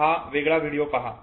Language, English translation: Marathi, Look at this video